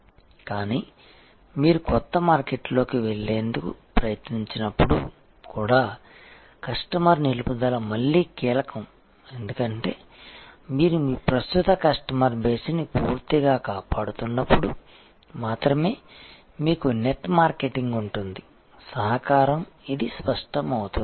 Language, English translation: Telugu, But, again highlighting that customer retention is again a key even in this case when you trying to go into new market, because it is only when you have good retention strategy only when you are completely protecting your current customer base you will have net marketing contribution this will become clear